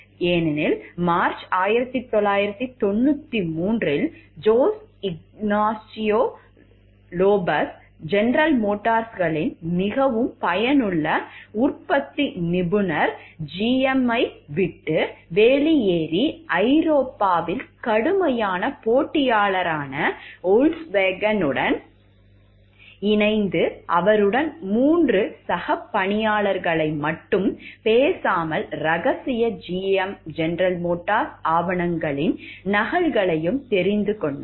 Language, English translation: Tamil, Because in march 1993 Jose Ignacio Lopez GMs highly effective manufacturing expert left GM to join Volkswagen, a fierce competitor in Europe and took with him not only three colleagues and know how, but also copies of confidential GM documents